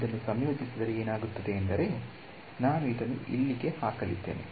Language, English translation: Kannada, So, if I integrate this what will happen, I am going to put this inside over here